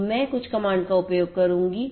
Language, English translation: Hindi, So, I will use some command